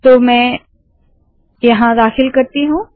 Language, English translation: Hindi, So let me put this back here